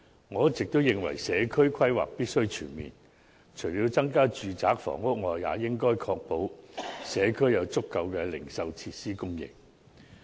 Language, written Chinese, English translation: Cantonese, 我一直都認為，社區規劃必須全面，除了增加住宅房屋外，也應確保社區有足夠的零售設施供應。, I always believe that community planning must be comprehensive . Apart from increasing residential housing we should also ensure a sufficient supply of retail facilities for the community